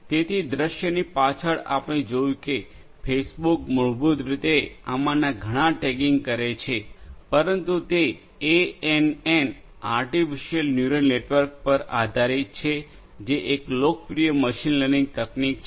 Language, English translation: Gujarati, So, you know behind the scene we see that Facebook basically does lot of these tagging, but that is based on ANN – artificial neural network which is a popular machine learning technique